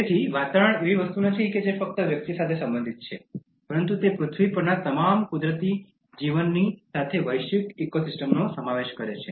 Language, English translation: Gujarati, So, environment is not something that is only related to the individual, but it includes all the natural life on earth as well as the global ecosystem